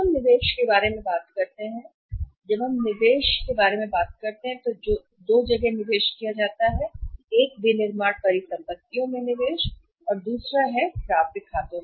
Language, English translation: Hindi, Now let us talk about the investment when we walked out the investment two investments are required to be made investment in the manufacturing asset investment in the accounts receivables